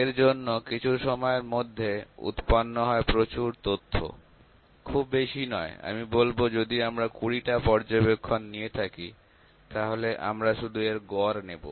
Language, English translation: Bengali, For that the data that is generated some time is very big; no if not very big let me say if there are 20 observations that we have taken; we just take the average of that